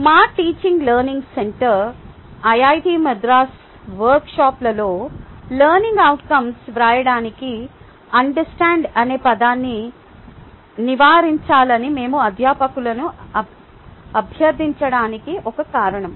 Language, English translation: Telugu, thats one of the reasons why ah teaching learning center, iit madras, in our workshops we request faculty to avoid the word understand for writing learning outcomes